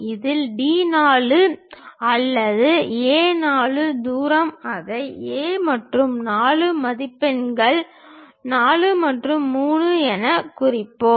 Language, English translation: Tamil, Similarly, D 4 or A 4 distance locate it from A to 4 mark that point as 4 and 3